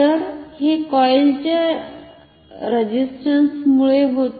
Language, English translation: Marathi, So, this happens because of the resistance of the coil